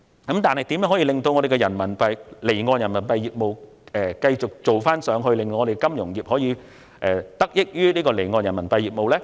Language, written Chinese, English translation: Cantonese, 可是，如何令香港離岸人民幣業務繼續向上發展，使本地金融業可以得益於離岸人民幣業務？, Yet what should be done to make possible continuous development of offshore RMB business in Hong Kong so that the local financial sector can benefit from offshore RMB business?